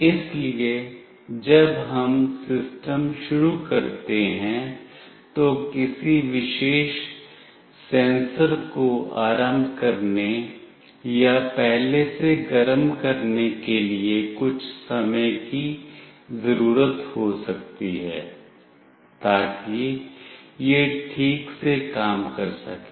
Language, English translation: Hindi, So, when we start the system, it might require some time to initiate or to preheat the particular sensor, so that it can work properly